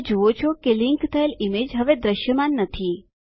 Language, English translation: Gujarati, You see that the linked image is no longer visible